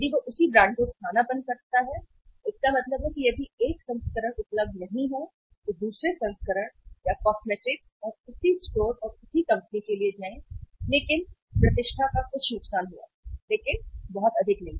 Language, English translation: Hindi, If he substitute the same brand it means if the one variant is not available go for the another variant or the cosmetic and same store and same company but some loss of the reputation but not much